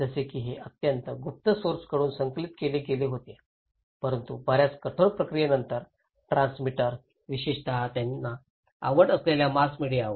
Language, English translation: Marathi, Like, it was collected from very secret sources but with a lot of rigorous process then the transmitter particularly the mass media they are interested